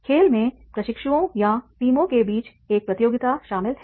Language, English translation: Hindi, The game involves a contest among trainees or the teams of trainees, right